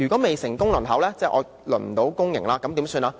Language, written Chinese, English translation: Cantonese, 未成功輪候，即未能獲派公營院舍，怎麼辦呢？, For those whose applications were unsuccessful meaning they are not allocated places of public RCHEs what should they do?